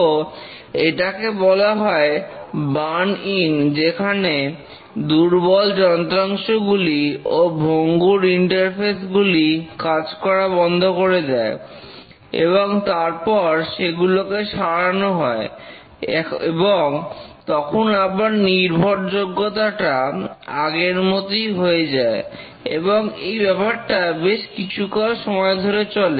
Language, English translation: Bengali, So this is called as the burn in where the weaker components and weaker interfaces among components they fail and then they are repaired and the reliability becomes high, stable and maintained in this rate for a long time